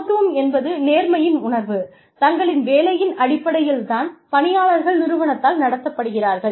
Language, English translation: Tamil, Equity is the sense of fairness, employees have, as regards, the treatment of their work, by their organization